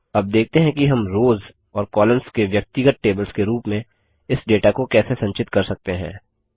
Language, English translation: Hindi, Now let us see, how we can store this data as individual tables of rows and columns